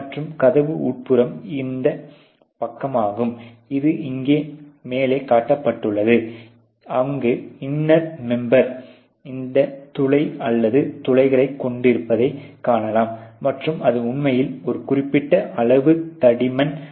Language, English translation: Tamil, And obviously, the door inner is this side, the one which is being shown top of here where you can see the inner member having this perforation or holes and it is really a certain amount of thickness